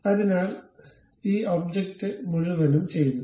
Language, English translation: Malayalam, So, this entire object is done